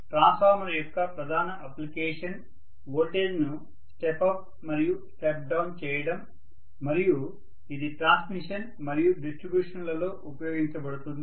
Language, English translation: Telugu, So the major application of a transformer is to step up and step down the voltages and this will be used in transmission as well as distribution